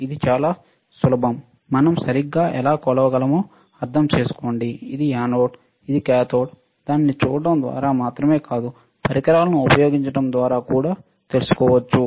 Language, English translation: Telugu, It is simple easy, but we have to also understand how we can measure right, which is anode which is cathode not just by looking at it, but also by using the equipment